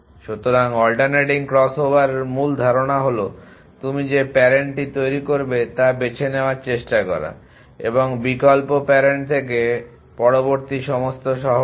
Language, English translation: Bengali, So, the basic idea in alternating crossover is to try and choose as you construct that the parent from alternate all the next city from the alternating parent